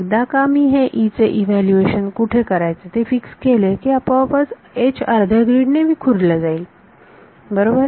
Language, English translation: Marathi, Once I fix where E is evaluated H automatically becomes staggered by half grid right